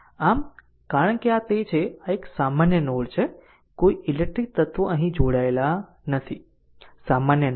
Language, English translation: Gujarati, So, because this are this are this is your a common node, no electrical elements are connected here, common node